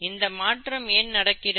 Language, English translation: Tamil, Why does that happen